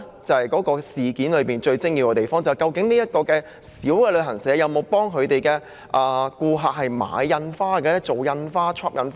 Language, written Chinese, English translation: Cantonese, 這正是整件事最精要之處，便是究竟這間小型旅行社有否為顧客繳付的外遊費用繳付印花徵費。, The crux of the issue is whether this small travel agency had paid the levy in respect of the outbound fare received from customers